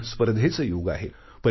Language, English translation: Marathi, Today is the era of competition